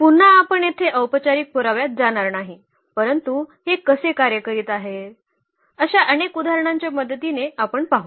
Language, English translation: Marathi, Again we will not go through the formal proof here, but we will see with the help of many examples, how this is working